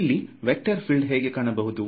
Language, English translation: Kannada, Now how does this vector field look like